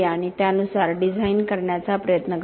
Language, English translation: Marathi, And try and design accordingly